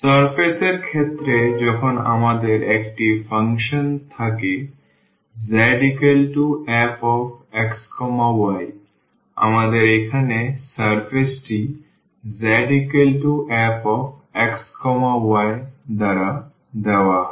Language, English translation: Bengali, In case of the surface when we have a function z is equal to f x y so, our here the surface is given by z is equal to f x y